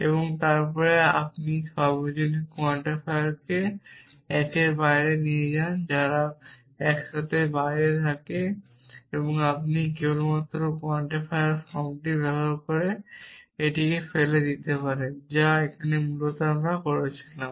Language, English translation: Bengali, And then you move the universal quantifiers outside one they are together outside you can just threw it away use quantifier form which is what we had doing here essentially